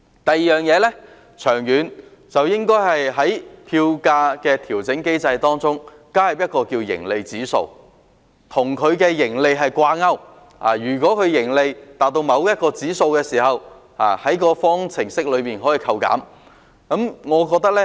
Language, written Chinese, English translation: Cantonese, 第二，長遠來說，應該在票價調整機制中加入盈利指數，與盈利掛鈎，如果盈利達到某個指數，便會在方程式中扣減。, Second in the long run a profitability index should be added to FAM to peg it to profit under which the profit will be deducted from the formula upon reaching a particular index